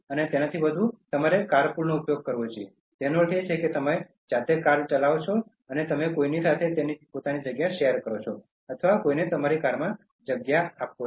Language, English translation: Gujarati, But more than that you should use car pool okay, which means that you take lift, or you share space with someone or you let someone’s use the space in your car